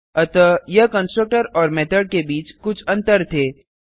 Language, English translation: Hindi, So this were some differences between constructor and method